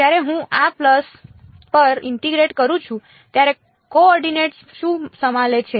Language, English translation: Gujarati, When I integrate over this pulse what is the coefficient involved